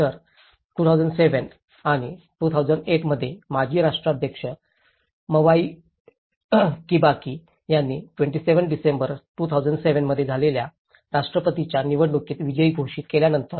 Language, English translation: Marathi, So, in 2007 and 2008, after the former President Mwai Kibaki was declared the winner of the presidential elections in December 27, 2007